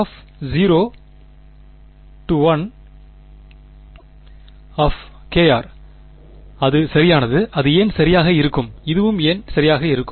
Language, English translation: Tamil, What is and it is correct and why would that be correct and why would this also be correct